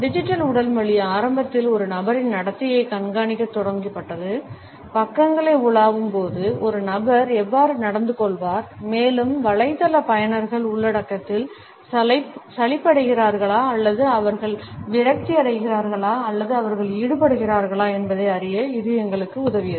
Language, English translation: Tamil, The digital body language initially is started to track a person’s behaviour, how does a person behave while browsing the pages and it helped us to know whether the website users are bored with the content or they are frustrated or they are engaged etcetera